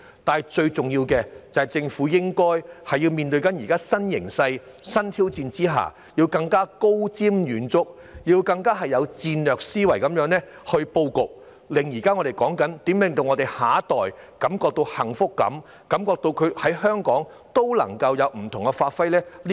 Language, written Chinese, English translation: Cantonese, 不過，最重要的是，政府面對現時的新形勢及新挑戰，應該更加高瞻遠矚，以戰略思維布局，令我們的下一代感到幸福，感到他們在香港可以有不同發揮。, However in the face of new situation and new challenges the Government must be more forward - looking and plan strategically to bring happiness to our next generation and make them feel that they can give play to their strengths in Hong Kong